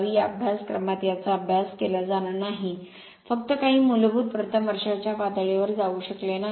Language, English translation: Marathi, This is that will not study in this in the in this course just some basic right could not beyond that at first year level